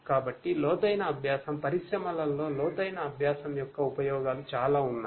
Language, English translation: Telugu, So, deep learning, there are uses of deep learning a lot in the industries